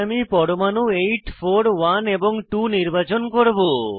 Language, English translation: Bengali, So, we will choose atoms 8, 4,1 and 2